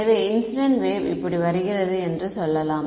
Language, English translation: Tamil, So, let us say the incident wave is coming like this